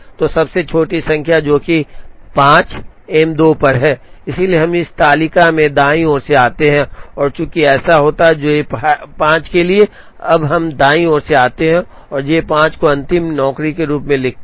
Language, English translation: Hindi, So, smallest number, which is 5 is on M 2, so we come from the right in this table and since that happens, for J 5, now we come from the right and write J 5 here as the last job